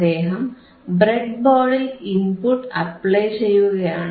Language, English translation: Malayalam, He is going to apply to the input of the breadboard